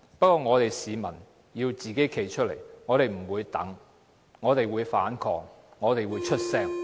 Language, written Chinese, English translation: Cantonese, 不過，市民要站出來，我們不會等待，我們會反抗，我們會發聲。, However the public will come forward . We will not wait but will protest and voice our opinions